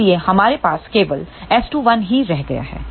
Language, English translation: Hindi, So, we are left with only S 2 1